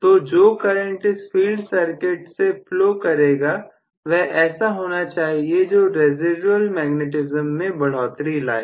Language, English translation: Hindi, So, the current that is flowing in the field circuit because of the voltage that is being generated should aid the residual magnetism